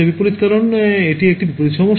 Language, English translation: Bengali, Inverse because it is an inverse problem